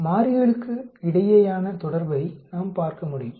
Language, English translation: Tamil, We can look at association between variables